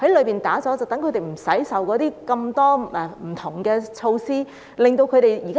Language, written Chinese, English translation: Cantonese, 這樣他們便不用受到諸多不同措施的限制。, If so they will be spared the numerous restrictions under various measures